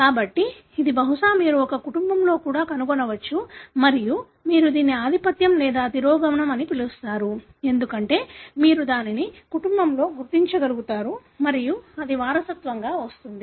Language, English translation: Telugu, So, this perhaps you can even trace it in a family and that is how you call it as dominant or recessive, because you can trace it in the family and that is being inherited